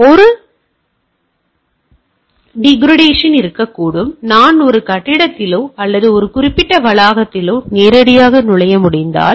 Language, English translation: Tamil, So, it perform a degradation may be there like, I say that if I can enter a building or a particular campus straight away